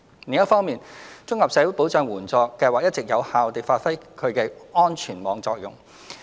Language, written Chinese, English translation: Cantonese, 另一方面，綜合社會保障援助計劃一直有效地發揮其安全網功能。, Separately the Comprehensive Social Security Assistance CSSA Scheme has all along served its function as a safety net effectively